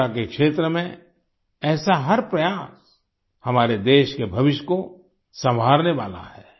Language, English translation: Hindi, Every such effort in the field of education is going to shape the future of our country